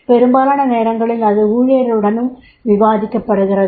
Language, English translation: Tamil, And most of the time it has been discussed with the employee also